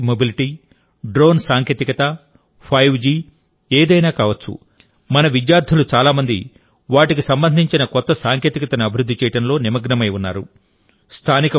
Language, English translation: Telugu, Be it electric mobility, drone technology, 5G, many of our students are engaged in developing new technology related to them